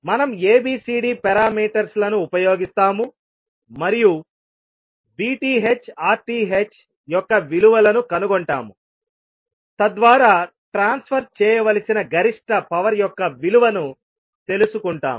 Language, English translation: Telugu, So we will use ABCD parameters and find out the value of VTH and RTH so that we can find out the value of maximum power to be transferred